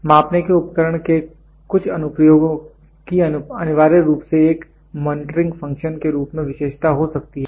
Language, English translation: Hindi, Certain applications of the measuring instrument may be characterized as having essentially a monitoring function